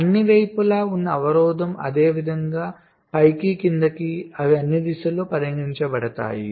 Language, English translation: Telugu, so the constraint on all the sides, similarly up, similarly down, they will be considered in all directions